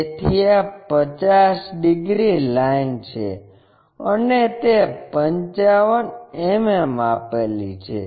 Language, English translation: Gujarati, So, this is 50 degrees line and it measures 55 mm long